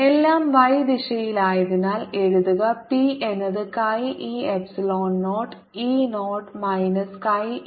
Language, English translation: Malayalam, since everything is in the y direction, i can therefore write: p is equal to chi e epsilon zero e zero minus chi e, p over two